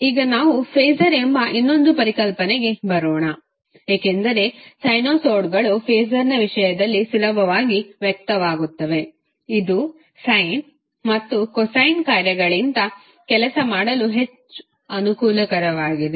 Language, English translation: Kannada, Now let's come to another concept called phaser because sinusoids are easily expressed in terms of phaser which are more convenient to work with than the sine or cosine functions